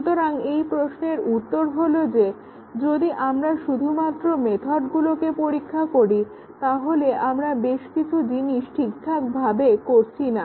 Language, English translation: Bengali, So the answer to that is that, if we just simply test the methods then we are not doing several things correctly